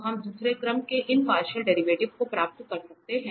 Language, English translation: Hindi, So, we can get these partial derivative of second order